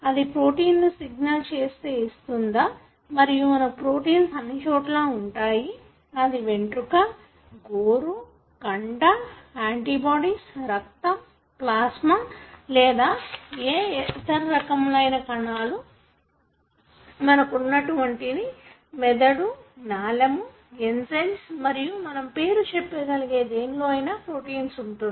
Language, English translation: Telugu, So, that provides the signal for making the protein and you have proteins everywhere; whether it is your hair, nail, muscle, antibodies, blood, plasma or even the different types of the cells that you have, brain, nerve, enzymes and you name it, any of them would be made up of, proteins